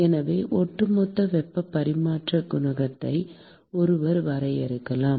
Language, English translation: Tamil, So, one could define overall heat transfer coefficient